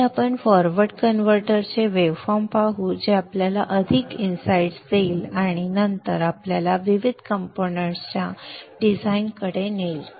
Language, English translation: Marathi, Next let us look at the waveforms of the forward converter which will give us more insight and then which will lead us to the design of the various components